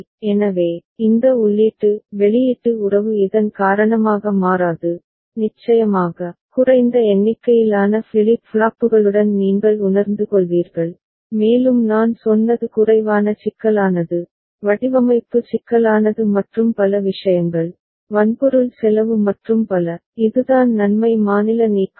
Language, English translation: Tamil, So, this input output relationship does not alter because of this and of course, you will be realising with less number of flip flops and as I said less complexity, design complexity and many other things, hardware cost and so, that is the advantage of state elimination